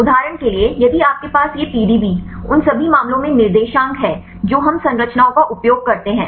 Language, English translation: Hindi, For example, if you have these PDB coordinates in all the cases we use the structures